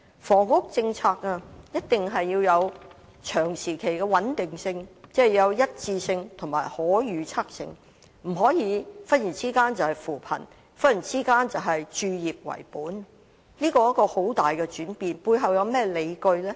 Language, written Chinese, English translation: Cantonese, 房屋政策一定要有長時期的穩定性，即要有一致性及可預測性，不能忽然是扶貧，忽然是以置業為本，這是非常大的轉變，究竟背後有何理據？, The housing policy must have lasting stability that is it must have consistency and predictability . It cannot suddenly aim to alleviate poverty and then suddenly be oriented towards home ownership . This is a most major change